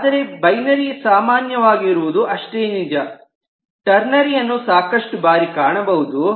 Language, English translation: Kannada, but of course it is true that as binary is the most common, ternary is seen to quite a times